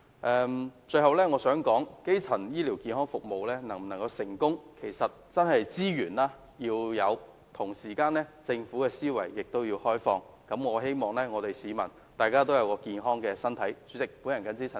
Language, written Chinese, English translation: Cantonese, 我最後想說的是，基層醫療健康服務能否成功，其實真的取決於是否得到所需的資源，而同時政府要有開放的思維，以保障市民健康的身體。, Finally I want to point out that the success or failure of the primary health care services actually depends on whether or not the necessary resources are secured . At the same time the Government should have an open mind in the protection of public health